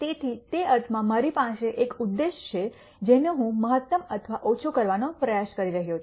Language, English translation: Gujarati, So, in that sense I have an objective which I am trying to maximize or minimize